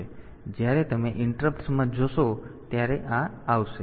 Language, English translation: Gujarati, So, this will come when you go into the interrupts